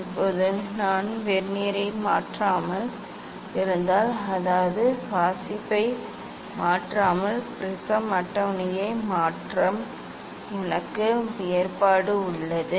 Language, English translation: Tamil, Now, if I just without changing the Vernier; that means, without changing the reading I have provision to change the prism table